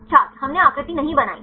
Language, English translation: Hindi, We did not draw the shape